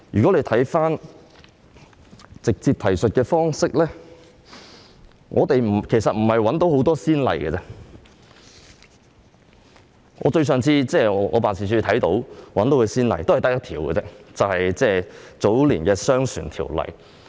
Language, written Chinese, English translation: Cantonese, 關於直接提述方式，過往並沒有太多先例，我辦事處的職員亦只找到一個，就是早年的《商船條例》。, With regard to the direct reference approach there are not too many precedents and my staff have found only one that is the Merchant Shipping Ordinance enacted in early years